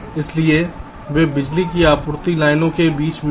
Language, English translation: Hindi, so they are interspaced between power supply lines